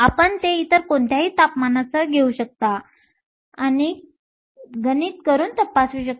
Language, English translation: Marathi, You can take it with any of the other temperatures and also done and checked